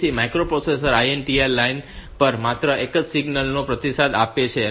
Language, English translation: Gujarati, So, the micro processor can only respond to one signal on the INTR line